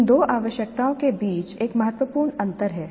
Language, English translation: Hindi, There is a significant difference between these two requirements